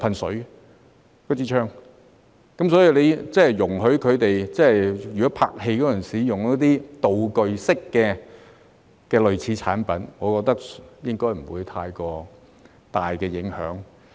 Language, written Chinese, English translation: Cantonese, 所以，容許拍戲時使用道具式的類似產品，我覺得應該不會有太大影響。, So I think it should not be a big problem to allow the use of similar products as props